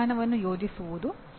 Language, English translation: Kannada, Planning an appropriate approach